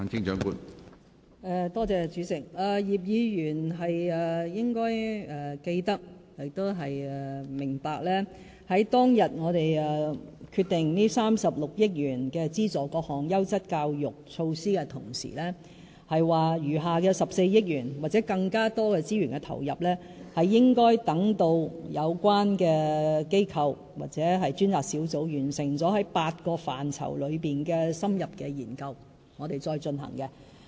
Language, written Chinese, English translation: Cantonese, 葉議員應該記得亦明白，當天我們決定動用36億元資助各項優質教育措施的同時，亦表示餘下的14億元或更多的資源投入，應該等到有關機構或專責小組完成8個範疇的深入研究後，我們才進行。, Mr IP should remember and understand that when we decided to use the 3.6 billion for funding various quality education initiatives we did say that the remaining 1.4 billion or more should be put to use only after the organizations concerned or the task forces had completed in - depth reviews on the eight key areas of education